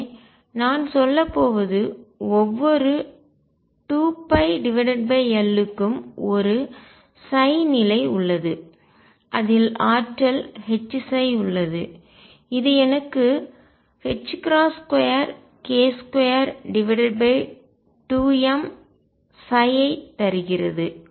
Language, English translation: Tamil, So, what I am going to say is every 2 pi over L there is a state psi, which has energy H psi which gives me h cross square k square over 2 m psi